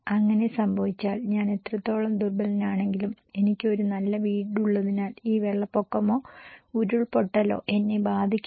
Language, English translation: Malayalam, And if it, even if it happened what extent I am vulnerable, because I have a good house maybe, I will not be affected by this flood or landslide